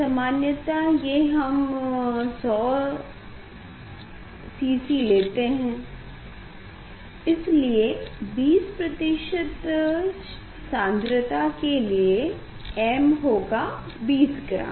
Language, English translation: Hindi, generally, we can take 100 cm cube cc; so, then for 20 percent concentration m has to be 20 gram